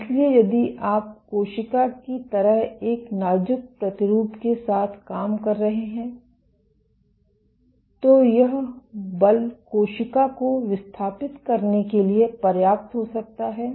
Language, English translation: Hindi, So, if you are working with a way delicate sample like a cell then, this force may be enough to dislodge the cell